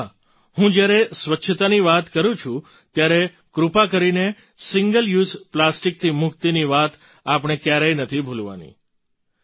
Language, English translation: Gujarati, And yes, when I talk about cleanliness, then please do not forget the mantra of getting rid of Single Use Plastic